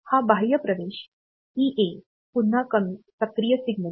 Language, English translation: Marathi, Then this external access EA; so, this is again an active low signal